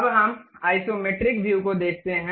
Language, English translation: Hindi, Now, let us look at isometric view